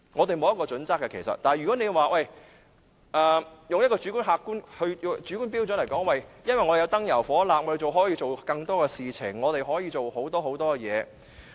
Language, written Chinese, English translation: Cantonese, 但是，有人可能會以一個主觀標準來說，立法會要使用燈油火蠟，議員用這些時間可以做更多事情。, However some people may say with a subjective standard that the Legislative Council meetings will incur basic operational expenses and Members can make use of the meeting time to do more work